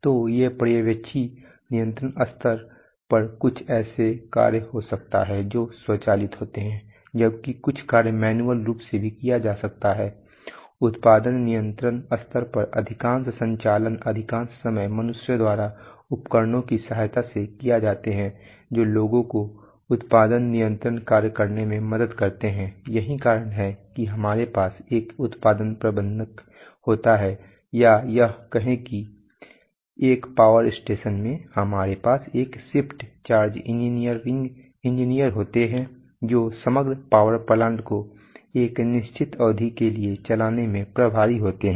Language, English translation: Hindi, So at the Supervisory control level there could be some functions which are automated while some functions could be performed manually also, at the production control level most of the operations most of the time are performed by humans with the aid of tools which help people perform the production control functions, so that is why we have what is known as a production manager or say in a, say in a power station we have a shift charge engineer who is who is who is in charge of running the overall part system overall power plant for a, for a certain duration of time so this production control functions are